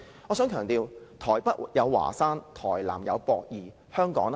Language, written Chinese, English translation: Cantonese, 我想強調，台北有華山，台南有駁二，那麼香港呢？, We can find Huashan in Taipei and The Pier - 2 in Tainan but what can we find in Hong Kong?